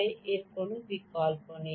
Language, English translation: Bengali, there is no choice